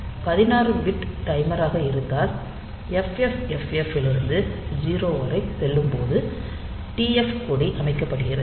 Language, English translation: Tamil, So, if is a 16 bit timer, then when it is rolls over from 65 FFFFH to all 0 then the TF flag is set